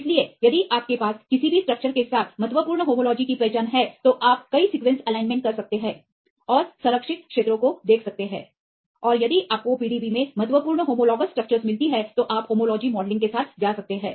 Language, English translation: Hindi, So, if you have the significant homology significance identity with any of the structures, you can make the multiple sequence alignment, and see the conserved regions and if you find significant humologous structures in the PDB, then you can go with the homology modelling